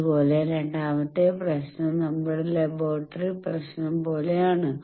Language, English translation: Malayalam, Similarly, the second problem is like our laboratory problem